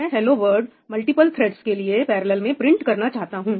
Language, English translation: Hindi, I want to print hello world for multiple threads in parallel